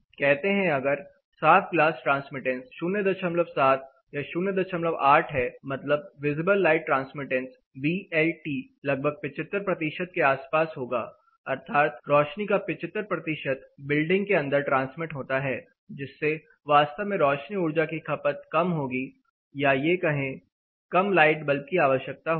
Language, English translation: Hindi, 8 for a clear glass, the light transmittance are visible light transmittance that is VLT here will be around 75 percentage that is 75 percent of light is transmitted in to the building which will actually help you in reducing your lighting energy or lighting loads